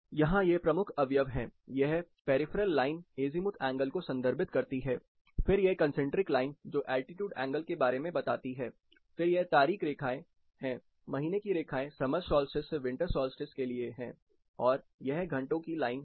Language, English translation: Hindi, There are key components here, the peripheral line represents the azimuthal angle which we talked about and then the concentric line talks about altitude angle, these are the date lines, month lines for summer to winter solstice and these things are the hour lines